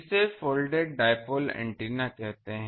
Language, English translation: Hindi, That is called a Folded Dipole antenna